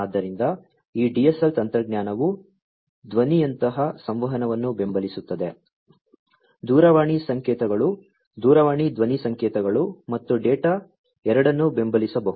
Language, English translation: Kannada, So, this DSL technology can support both communication of voice like, the telephone signals etcetera you know telephone voice signals as well as the data both can be supported